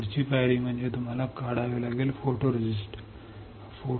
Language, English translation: Marathi, Next step is that you have to remove you remove the photoresist